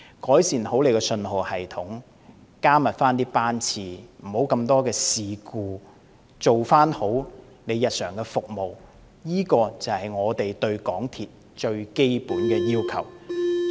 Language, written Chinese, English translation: Cantonese, 改善信號系統，加密班次，減少事故次數，做好日常服務，這才是我們對港鐵公司最基本的要求。, Rather MTRCL should do well to improve the signalling systems increase train frequency minimize the incidence of incidents and do a good job in daily service which are our most basic demands on MTRCL